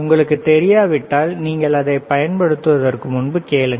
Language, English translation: Tamil, If you do not know you ask before you use it all right